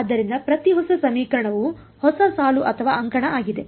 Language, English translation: Kannada, So, every new equation is a new row or column